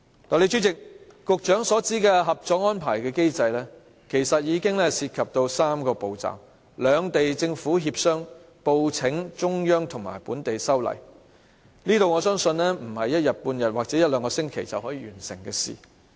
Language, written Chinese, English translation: Cantonese, 代理主席，局長所指的《合作安排》的機制，其實涉及3個步驟：兩地政府協商、報請中央及本地修例，我相信這不是一天半天或一兩星期便可完成的事。, Deputy President the mechanism of the cooperation agreement which the Secretary refers to actually involves three steps negotiation between the governments of the two places reporting to the Central Authorities and amending the local legislation . These steps I believe cannot be completed in a day or two and certainly not in a week or two for that matter